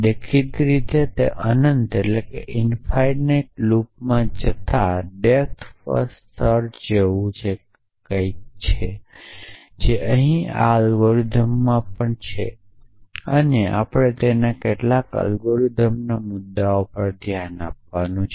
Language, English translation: Gujarati, So, obviously that is like depth first search going into an infinite branch that is danger lucks even in this algorithm here and we have to look at some of those algorithm issues